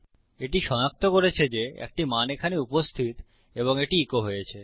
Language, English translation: Bengali, Its detected that a value is present here and its echoed out